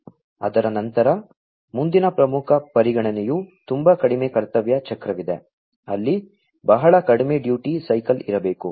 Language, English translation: Kannada, Thereafter, the next important consideration is that there is very low duty cycle; there is very low duty cycle that should be there